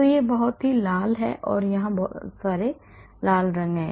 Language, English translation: Hindi, So, it is very red and many red colors here –